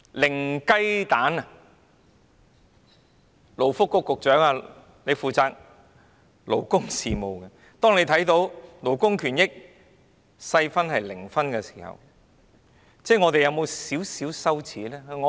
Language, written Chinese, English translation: Cantonese, 勞工及福利局局長負責勞工事務，當他看到勞工權益這細項的分數為零分時，有否感到一點羞耻？, The Secretary for Labour and Welfare takes charge of our labour affairs . When he saw that Hong Kong scored zero on labour rights did he feel ashamed?